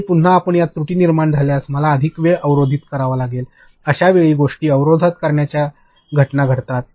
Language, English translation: Marathi, And, again if you create a errors in this, I have to block more time; so this time blocking things happens